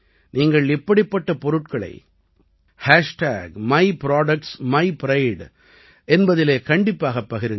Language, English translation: Tamil, You must share such products with #myproductsmypride